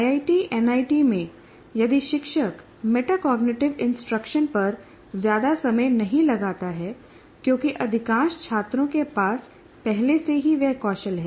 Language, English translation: Hindi, So in an IIT or in an NIT, if you don't, if the teacher doesn't spend much time on metacognitive instruction, it may be okay because people are able to, they already have that skill, that ability